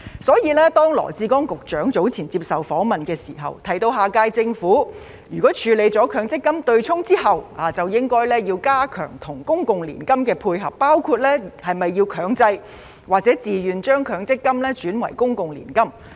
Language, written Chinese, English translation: Cantonese, 所以，當羅致光局長早前接受訪問時，提到下屆政府處理取消強積金對沖之後，應加強與公共年金的配合，包括是否要強制或自願將強積金轉移為公共年金。, Therefore Secretary LAW Chi - kwong mentioned in an interview earlier that after the abolishment of the MPF offsetting mechanism the next - term Government should strengthen the interface between the MPF and annuity including the possible transfer of MPF into an annuity on a mandatory or voluntary basis